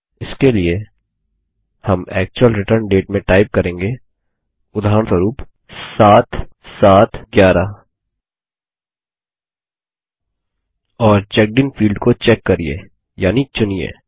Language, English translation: Hindi, For this, we will type in the actual return date, for example 7/7/11 And check the Checked In field